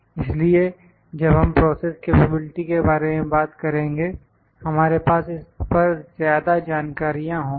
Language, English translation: Hindi, So, when we will talk about process capability we will have more details on this